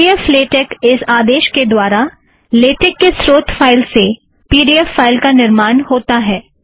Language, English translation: Hindi, The command pdf latex is used to create a pdf file from the latex source file